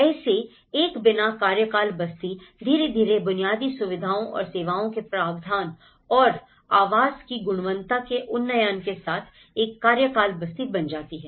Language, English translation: Hindi, So, a tenure slum, non tenure slum gradually becomes a tenure slum with the provision of infrastructure and services and up gradation of the quality of the housing